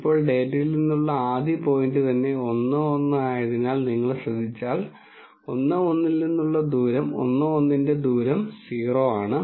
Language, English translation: Malayalam, Now, if you notice since the first point from the data itself is 1 1 the distance of 1 1 from 1 1 is 0